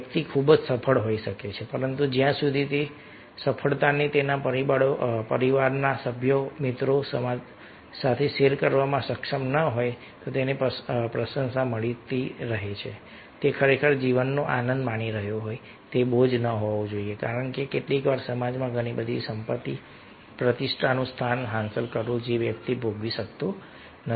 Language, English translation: Gujarati, a person might be very successful, but unless and until, if he is able share that success with his or her family members, with friends, society, he is getting appreciation, he is really enjoying life should not be a burden because sometimes, in spite of achieving, ah, lots of wealth, lots of prestige, position in the society, a person is not able to enjoy